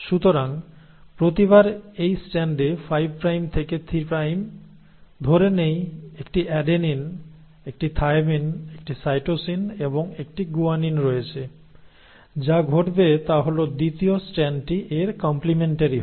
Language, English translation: Bengali, So every time in this strand, 5 prime to 3 prime, you let's say have an adenine, a thymine, a cytosine and a guanine, what will happen is the second strand will be complementary to it